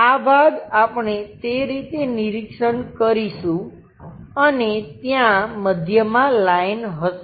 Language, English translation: Gujarati, This part we will observe it in that way and there will be a middle line